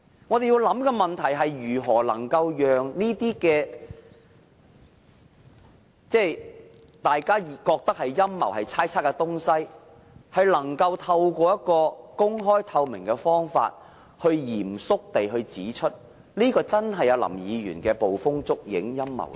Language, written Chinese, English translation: Cantonese, 我們要想的問題是如何能夠讓大家覺得是陰謀、猜測的東西，藉公開透明的方法，嚴肅地證明，果然是林議員捕風捉影、陰謀論。, What we should ponder is how to prove in an open transparent and solemn way that all the conspiracies and conjectures as everybody surmises are really something out of Mr LAMs own imaginations and conspiracy theories